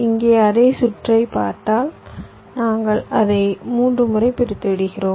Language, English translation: Tamil, so here, if you see that same circuit, we have unrolled it three times